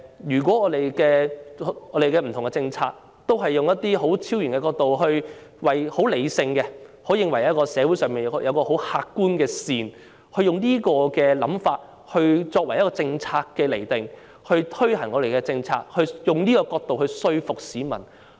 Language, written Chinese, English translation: Cantonese, 因此，當政府不同政策也是採用這種超然角度、理性角度，認為社會上有一種客觀的善，並以這種想法釐定和推行政策，當局是否希望以這角度來說服市民呢？, Hence the Government has adopted a transcendent attitude and rationality in the implementation of various policies thinking that there is a kind of objective benevolence in society . If the Government plans and formulates policies with this mentality does it think that it can convince the public with this perspective?